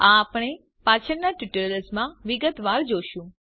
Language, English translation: Gujarati, We will see this in detail in later tutorials